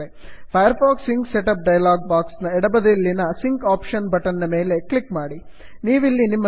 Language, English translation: Kannada, The setup is complete Click on the sync option button on the left of the firefox sync setup dialog box